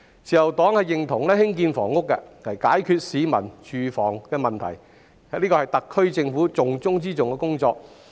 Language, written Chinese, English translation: Cantonese, 自由黨認同政府透過興建房屋解決市民的住屋問題，這是特區政府重中之重的工作。, The Liberal Party agrees with the Government that the housing problem should be solved through housing construction which is the top priority of the SAR Government